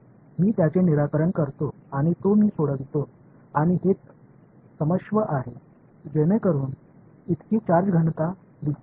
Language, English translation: Marathi, I solve it I get the solution and this is what the sorry the so charge density this is what it looks like